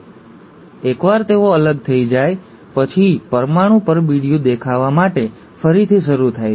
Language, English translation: Gujarati, And then, once they are separated, the nuclear envelope restarts to appear